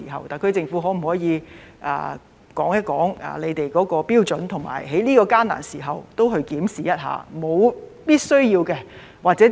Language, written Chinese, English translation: Cantonese, 特區政府可否說說他們的標準，以及在這個艱難的時刻，也會檢視一下這是否屬必需？, Can the SAR Government tell us something about its criteria and can it examine such a need during this difficult period?